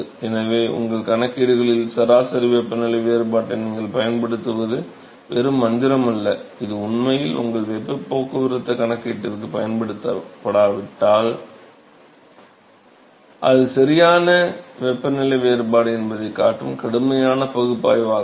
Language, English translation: Tamil, So, it is not just a magic that you use log mean temperature difference in your calculations, which actually rigorous analysis that shows that that is the correct temperature difference that if it actually used for your heat transport calculation